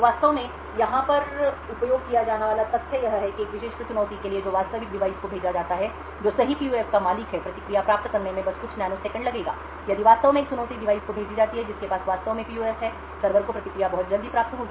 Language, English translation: Hindi, So the fact that is actually use over here is that is for a particular challenge that is sent to the actual device that owns the right PUF, obtaining the response will just take a few nanoseconds therefore, if a challenge is sent to the device which actually has the PUF the server would obtain the response very quickly